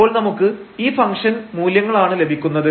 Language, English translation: Malayalam, These are the 3 points we will evaluate the function value